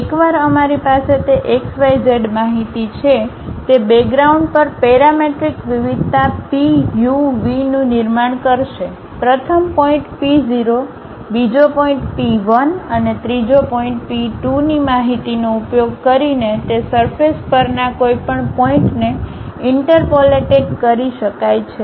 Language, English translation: Gujarati, Once we have that x, y, z information; it will construct at the background a parametric variation P of u, v; any point on that surface can be interpolated using information of first point P 0, second point P 1 and third point P 2